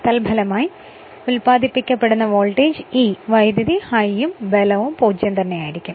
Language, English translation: Malayalam, With the result that the induced voltage E and current I will diminish